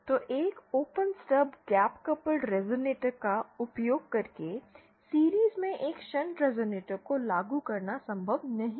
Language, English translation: Hindi, So using an open stub gap coupled resonator, it is not possible to implement a shunt resonator in series